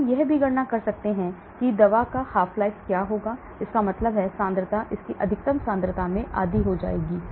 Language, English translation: Hindi, We can even calculate what will be the half life of the drug, that means the concentration comes to half its max concentration